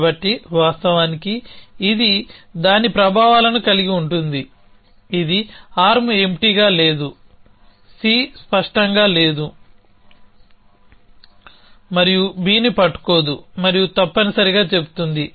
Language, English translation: Telugu, So, of course it will have its effects, it will say arm empty not clear C and not holding B and so on essentially